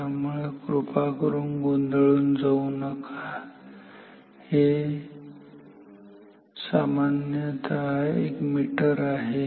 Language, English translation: Marathi, So, please do not get confused this is generally a meter